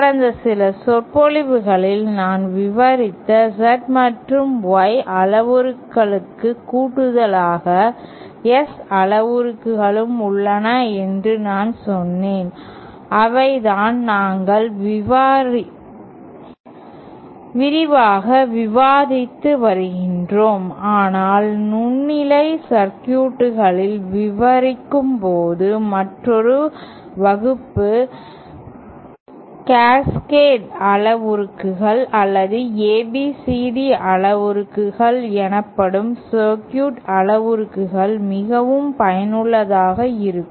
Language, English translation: Tamil, But I would like to now, in addition to the Z and Y parameter that I described in the past few lectures, I also said that there are S parameters that is what we had been discussing extensively but another class of circuit parameters called Cascade parameters or ABCD parameters are also quite useful while describing microwave circuits